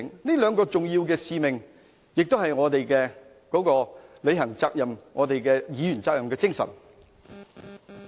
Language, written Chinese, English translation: Cantonese, 這兩個重要的使命是我們履行議員責任的精神。, These two important missions are the spirits of our duties as legislators